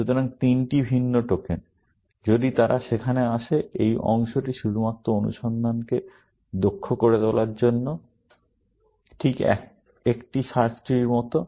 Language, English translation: Bengali, So, three different tokens, if they come there, this part is only to make the search efficient, just like in a search tree